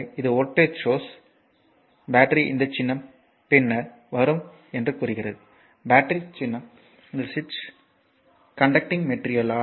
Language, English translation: Tamil, So, this is a voltage source representing says battery this symbol will come later battery symbol will come later this is the switch and this is conducting material